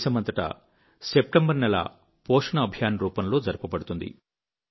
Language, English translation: Telugu, The month of September will be celebrated as 'Poshan Abhiyaan' across the country